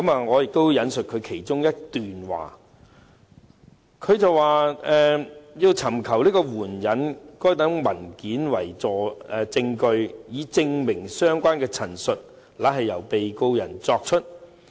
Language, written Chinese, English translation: Cantonese, 我引述當中的一段："......要尋求援引該等文件為證據，以證明相關的陳述乃是由被告人作出。, Let me quote one paragraph therein seeking to adduce the documents as evidence of the fact that such statements were made by the Defendant